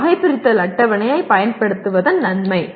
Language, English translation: Tamil, That is the advantage of using a taxonomy table